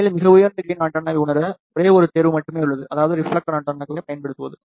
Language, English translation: Tamil, In fact, to realize very high gain antenna, there is a only one choice, and that is to use reflector antennas